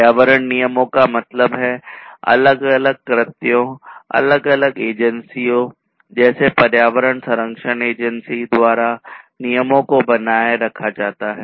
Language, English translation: Hindi, Environmental regulations or rules meant, are maintained by different acts, different agencies such as the environmental protection agency